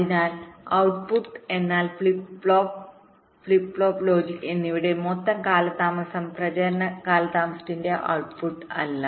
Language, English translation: Malayalam, so output means not the output of the flip flop, flip flop plus the logic, the total propagation delay starting from the clock edge